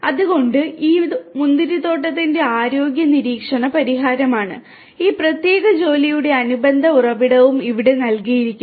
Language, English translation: Malayalam, So, this is the vineyard health monitoring solution and the corresponding source for this particular work is also given over here